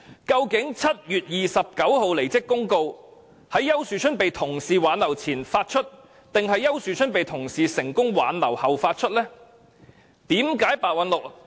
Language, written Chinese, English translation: Cantonese, 究竟7月29日的離職公告，是在丘樹春被同事挽留前發出，還是丘樹春被同事成功挽留後發出？, At which point in time was the public announcement about Ricky YAUs departure issued on 29 July? . Was it issued before his colleagues appealed to him that he should stay or after he had decided to withdraw his application for a resolution of agreement?